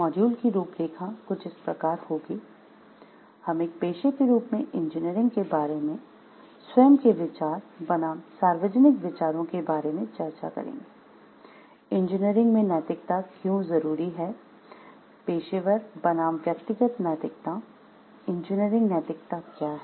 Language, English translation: Hindi, The outline of the module will be we will discuss engineering as a profession own self views versus public views, why ethics in engineering, professional versus personal ethics, what is engineering ethics